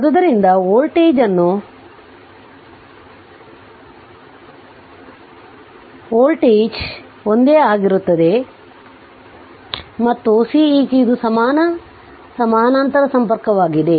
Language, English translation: Kannada, So; that means, voltage remain same and this is Ceq equivalent for parallel connection